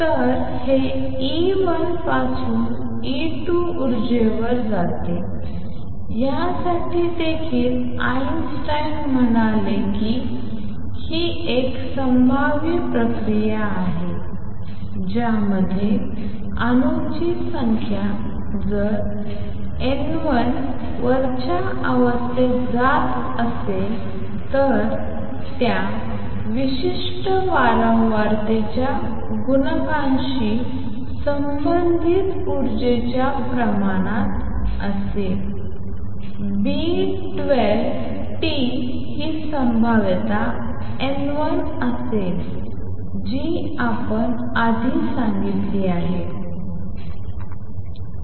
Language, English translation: Marathi, So, it goes from E 1 to E 2 energy, for this also Einstein said that this is a probabilistic process in which the number of atoms, if that is N 1 going to upper state would be proportional to the energy corresponding to that particular frequency times the coefficient B 12 delta t this will be the probability times N 1 it is exactly what we said earlier